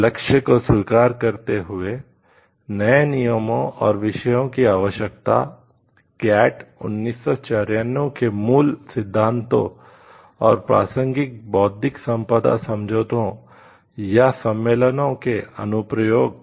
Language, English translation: Hindi, Recognizing to this end, the need for new rules and disciplines concerning: the applicability of the basic principles of GATT 1994 and a relevant Intellectual Property Agreements or conventions